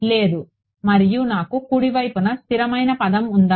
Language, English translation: Telugu, No, and did I have a constant term on the right hand side